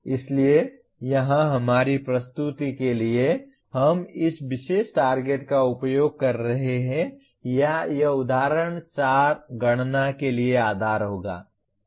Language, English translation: Hindi, So here for our presentation we are using this particular target or rather this example 4 will be the basis for computation